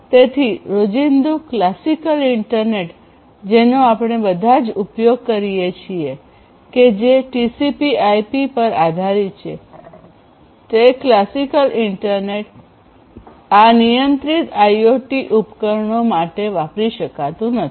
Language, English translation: Gujarati, So, classical internet that the one that is based on TCP IP; the classical internet that we all use is not meant for these constraint IoT devices